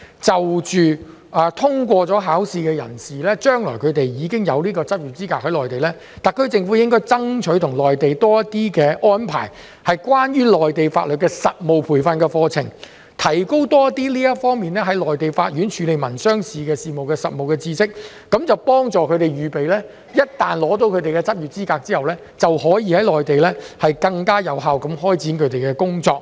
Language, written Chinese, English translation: Cantonese, 就着通過了有關考試，將來在內地有執業資格的人士，特區政府應該向內地爭取，安排多些關於內地法律的實務培訓的課程，為他們提供更多有關在內地法院處理民商事法律事務的實務知識，幫助他們預備在取得執業資格後，便可以在內地更有效地開展他們的工作。, As those who have passed the relevant examination will be qualified to practise in the Mainland in the future the SAR Government should lobby the Mainland to arrange more practical training courses on Mainland laws to provide them with more practical knowledge on Mainland courts handling of civil and commercial legal matters thereby readying them to start their work in the Mainland more effectively upon getting the practice qualifications